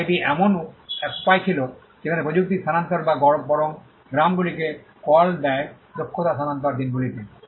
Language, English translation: Bengali, And this was a way in which technology transfer or rather villages call it skill transfer happened in those days